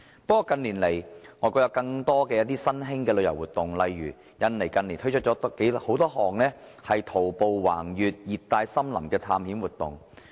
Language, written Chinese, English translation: Cantonese, 不過，近年來，外國有更多新興旅遊活動，例如印尼近年推出多項徒步橫越熱帶森林的探險活動。, That said in recent years more neo tourism activities have been held in foreign countries . For example in Indonesia adventure programmes of walking through the tropical forests have been held in recent years